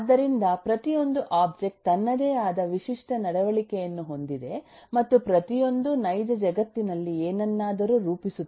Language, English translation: Kannada, so every object has its own unique behavior and each one models something in the real world